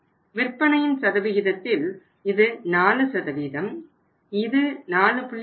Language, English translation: Tamil, In percentage terms it is 4%, it is 4